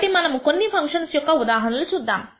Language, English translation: Telugu, So, we will see some couple of examples of such functions